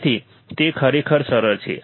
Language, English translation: Gujarati, So, it is really simple